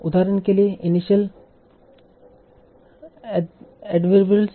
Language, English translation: Hindi, Like for example initial adverbials